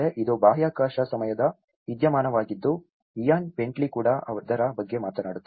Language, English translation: Kannada, This is space time phenomenon which Ian Bentley also talks about it